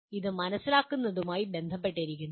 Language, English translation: Malayalam, It is related to understand